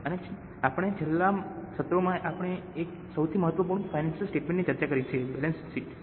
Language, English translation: Gujarati, Then we started with financial statements and in our last sessions we have discussed one of the most important financial statement that is balance sheet